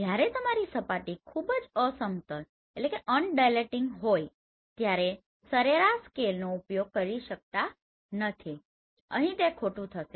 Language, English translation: Gujarati, Sometimes you have to use point scale when your surface is very undulating you cannot use this average scale here that will be wrong